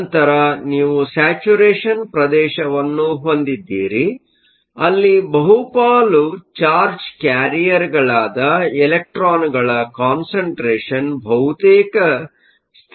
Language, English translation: Kannada, Then you have a saturation regime, where the concentrations of electrons which are the majority charge carriers, it is nearly a constant